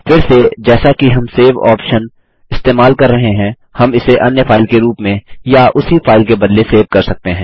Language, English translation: Hindi, Again as we use the Save option, we can either save it as a different file or replace the same file